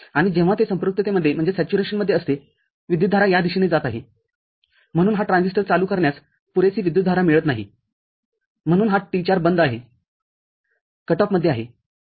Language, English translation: Marathi, And when it is in saturation current is going in this direction, so this transistor does not get enough current to be on so this T4 is off, in cut off